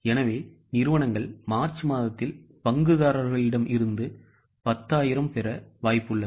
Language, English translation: Tamil, So, company is likely to receive 10,000 from the shareholders in the month of March